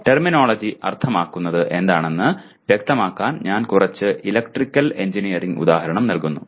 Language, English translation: Malayalam, Terminology will mean again I am giving a bit more of electrical engineering example